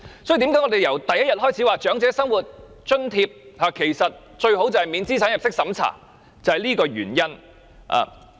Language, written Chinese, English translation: Cantonese, 所以，為甚麼我們由第一天開始便說長者生活津貼最好免資產入息審查，便是這個原因。, It is for this reason that we said the Old Age Living Allowance should be non - means - tested from day one